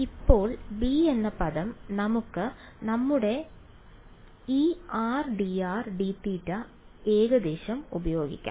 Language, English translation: Malayalam, Now term b is where we can use our this r d r d theta approximation